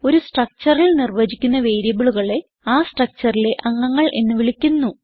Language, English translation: Malayalam, Variables defined under the structure are called as members of the structure